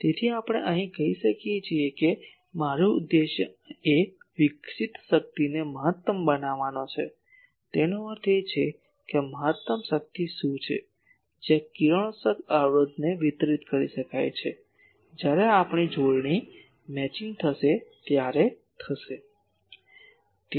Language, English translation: Gujarati, So, here we can say that our objective is to maximize the power radiated so; that means, what is the maximum power, that can be delivered to this radiation resistance, that will happen when we have conjugate matching